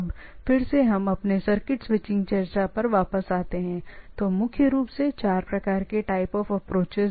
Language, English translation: Hindi, Now, again we if we come back to this our circuit switching discussion so, there are predominantly basic four type of thing, type of approaches